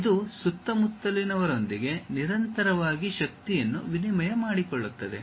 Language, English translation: Kannada, It is continuously exchanging energy with the surroundings